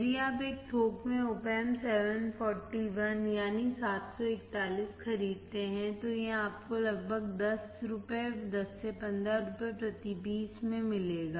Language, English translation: Hindi, If you buy Op Amp 741 in a bulk it will give you about 10 INR, 10 to 15 INR per piece